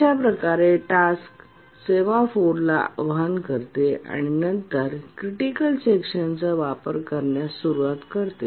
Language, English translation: Marathi, So the task invokes the semaphore and then starts using the critical section